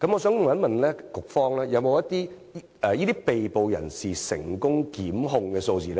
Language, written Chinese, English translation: Cantonese, 請問局方有沒有這些被捕人士的成功檢控數字？, May I ask if the Bureau has the number of successful prosecutions of these arrestees?